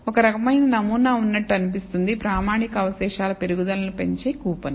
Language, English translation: Telugu, There seems to be some kind of a pattern, as the coupon that increases the standardized residuals increase